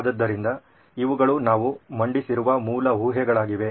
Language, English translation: Kannada, So these are the basic assumptions we’ve come up with